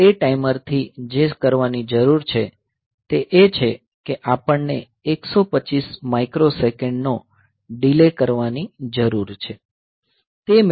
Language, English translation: Gujarati, So, what we need to do from that timer is that we need to have a delay of 125 microsecond